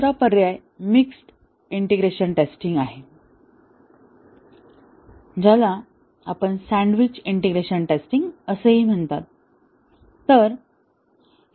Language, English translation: Marathi, The other alternative is a mixed integration testing also called as a sandwiched integration testing